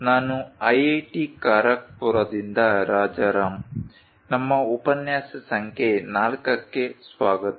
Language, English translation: Kannada, I am Rajaram from IIT Kharagpur, welcome to our lecture number 4